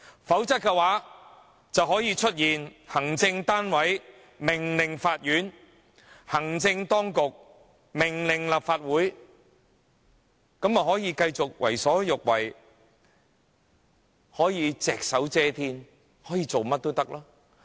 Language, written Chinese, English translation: Cantonese, 否則，便會出現行政單位命令法院，行政當局命令立法會；這樣行政單位便能夠繼續為所欲為、隻手遮天，想做甚麼都可以。, Had this not been the case the executive would be able to give orders to both the Court and the Legislative Council doing whatever it likes and covering up anything it wants to cover up